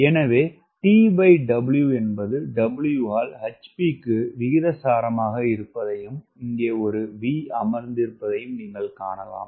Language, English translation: Tamil, so you could see that t by w is proportional to h p by w and there is a v sitting here